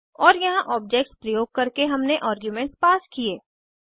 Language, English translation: Hindi, And here we have passed the arguments using the Object